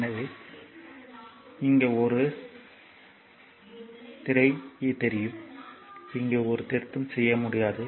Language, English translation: Tamil, So, here it is a it is you know it is a screen, we cannot make a correction here